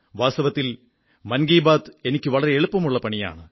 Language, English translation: Malayalam, Actually, Mann Ki Baat is a very simpletask for me